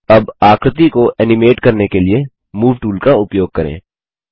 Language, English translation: Hindi, Lets use the Move tool, to animate the figure